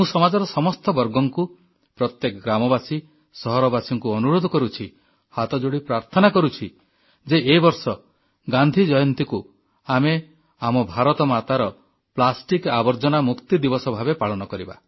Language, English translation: Odia, I appeal to all strata of society, residents of every village, town & city, take it as a prayer with folded hands; let us celebrate Gandhi Jayanti this year as a mark of our plastic free Mother India